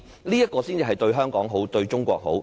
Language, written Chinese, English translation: Cantonese, 這樣才是對香港好，對中國好。, It is only by doing so that we can do good to ourselves and also to China